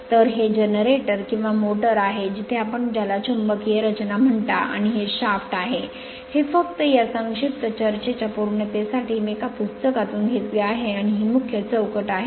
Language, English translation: Marathi, So, this is generator, or motor where your what you call magnetic structure and this is the shaft, this is I have taken from a book just for the sake of your to completeness of this brief discussion right and this is the main frame